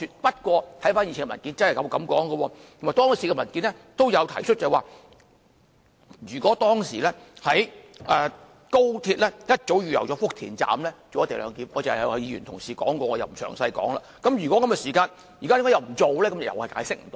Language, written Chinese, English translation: Cantonese, 不過，回看以前的文件真的這樣說，而當時的文件亦提及，如果當時高鐵早已預留福田站做"一地兩檢"——有議員剛才指出了，我不詳述——如果是這樣的話，為何現在又不做呢？, In fact the paper then stated that the authorities had allowed for the implementation of co - location at Futian Station . I do not intent to illustrate in detail as Members have pointed this out just now . But if this was the case before why do they not do so now?